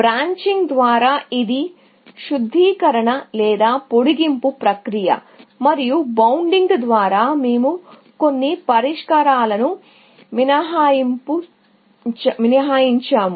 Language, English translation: Telugu, By branching, we mean this process of refinement, or extension, and by bounding, we mean excluding some solutions